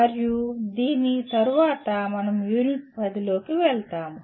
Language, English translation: Telugu, And after this we go into the Unit 10